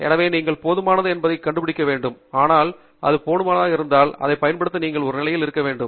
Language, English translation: Tamil, So, you need to find out whether it is adequate, but if it is adequate, you should be in a position to use it